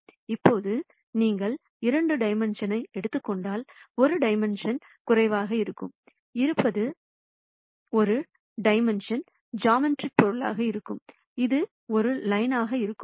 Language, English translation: Tamil, Now if you take 2 dimensions, then 1 dimension less would be a single di mensional geometric entity, which would be a line and so on